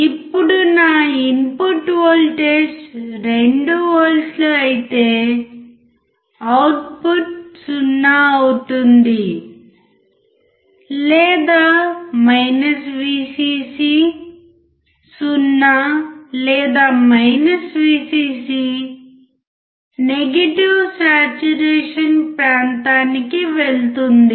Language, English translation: Telugu, Now, if my input voltage is 2V, output would be 0; or we can also say Vcc 0 or Vcc goes to the negative saturation region